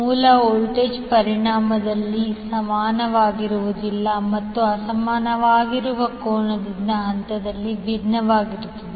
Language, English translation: Kannada, The source voltage are not equal in magnitude and or differ in phase by angle that are unequal